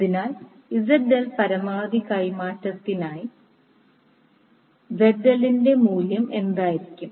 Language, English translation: Malayalam, So, what will be the value of ZL maximum transfer